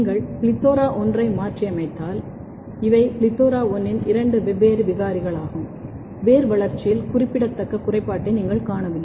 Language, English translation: Tamil, If you mutate plethora1, these are two different mutant of plethora1; you do not see a significant defect in the root growth